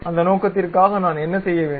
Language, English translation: Tamil, For that purpose what I have to do